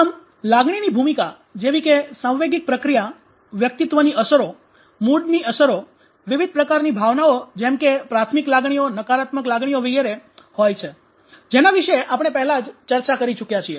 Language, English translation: Gujarati, (refer time: 20:08) So the role of emotions like emotional processing even personality effects mood effects etc etc types of emotions primary emotions negative emotions so we are all already discussed about these